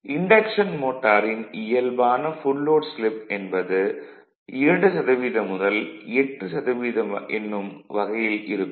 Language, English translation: Tamil, The normal full load slip of the induction motor is of the order of 2 to 8 percent